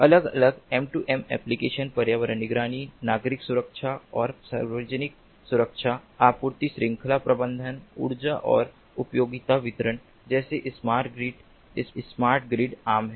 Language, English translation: Hindi, there are different m two m applications: environment monitoring, civil protection and public safety, supply chain management, energy and utility distribution, as in smart grid